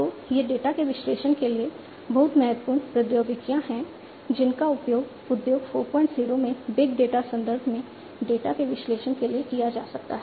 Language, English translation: Hindi, So, these are very important technologies for an analysis of the data, which could be used for analysis of the data, in the big data context in Industry 4